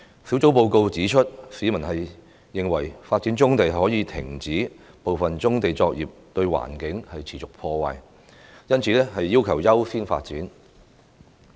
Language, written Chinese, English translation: Cantonese, 小組報告指出，市民認為發展棕地可以停止部分棕地作業對環境持續破壞，因此要求優先發展。, The report of the Task Force points out that the public support prioritizing the development of brownfield sites as it can halt the continual damage on the environment inflicted by certain brownfield operations